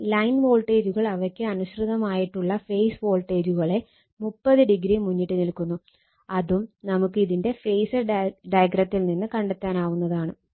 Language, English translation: Malayalam, Now, line voltage is lead their corresponding phase voltages by 30 degree that also we can see from their phasor diagram right